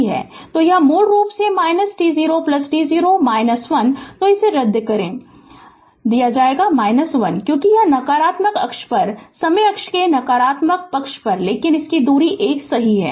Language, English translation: Hindi, So, this will be cancel minus 1 because it is on the negative axis negative side of the time axis, but distance is 1 right